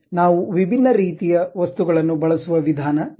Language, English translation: Kannada, This is the way we use different kind of things